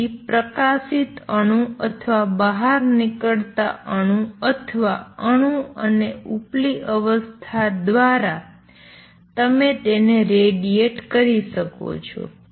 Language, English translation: Gujarati, So, by shining light on and exited atom or an atom and upper state you can make it radiate